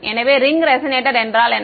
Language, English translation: Tamil, So, what is the ring resonator